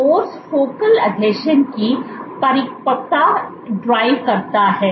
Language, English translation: Hindi, Force drives maturation of focal adhesions